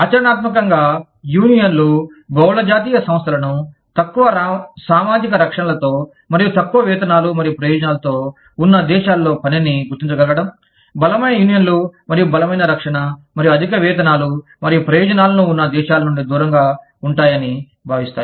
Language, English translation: Telugu, In practical terms, unions view multi national enterprises, as being able to locate work in countries, with lower social protections, and lower wages and benefits, staying away from countries, with stronger unions, and stronger protection, and higher wages and benefits